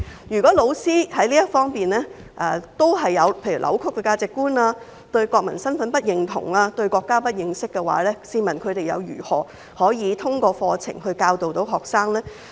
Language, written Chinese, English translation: Cantonese, 如果教師在這方面還是扭曲價值觀、對國民身份不認同、對國家不認識的話，試問他們又如何通過課程教導學生？, If teachers still distort values and have neither sense of national identity nor understanding of the country how can they teach students through the curriculum?